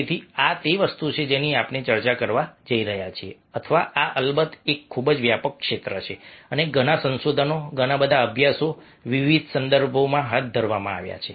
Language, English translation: Gujarati, or this is, of course, a very broad area and lots of research, lots of studies have been carried out in different contexts